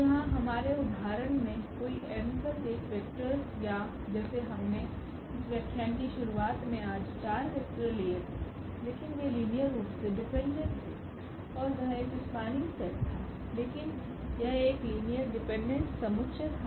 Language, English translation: Hindi, So, here any n plus 1 in the in our example also which we started this lecture today we had those 4 vectors, but they were linearly dependent and that was a spanning set ah, but it was a linearly dependent set